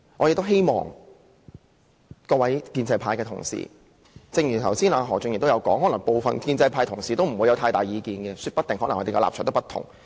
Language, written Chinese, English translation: Cantonese, 正如何俊賢議員剛才所說，可能部分建制派同事不會有太大意見，說不定他們的立場不同。, As Mr Steven HO said earlier some colleagues from the pro - establishment might not have strong views on this and they may perhaps have a different view